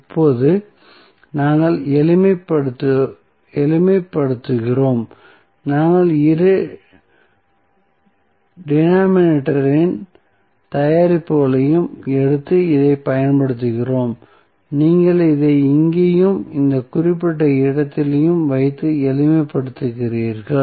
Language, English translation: Tamil, Now, we simplify, so, we just take the product of both the denominator and use the, you place this at here and this at this particular location and simplify